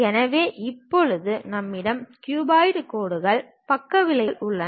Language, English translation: Tamil, So, now we have the cuboid lines, the sides edges